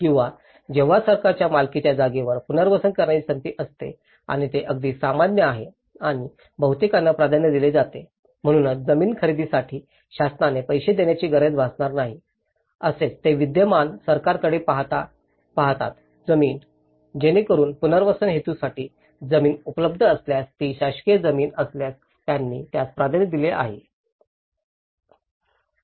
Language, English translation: Marathi, Or, when there is a chance to relocate to land owned by the government and this is very common and because this is mostly preferred, so that the government need not pay for the buying the land so, this is what they look for the existing government lands, so that if there is a land available for the relocation purpose, if it is a government land they are obviously prefer for that